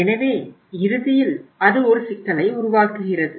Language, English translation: Tamil, So ultimately it it creates a problem